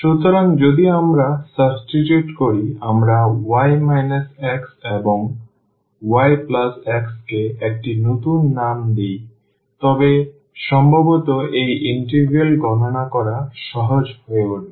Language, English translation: Bengali, So, if we substitute, we give a new name to y minus x and also to y plus x then perhaps this integral will become easier to compute